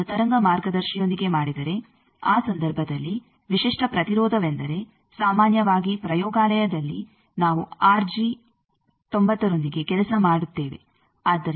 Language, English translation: Kannada, Suppose if you do it with the waveguide in that case characteristic impedance is what generally in laboratory we work with a waveguide r g 90